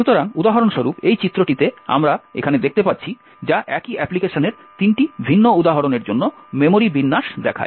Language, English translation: Bengali, So, for example in this figure as we see over here which shows the memory layout for three different instances of the same application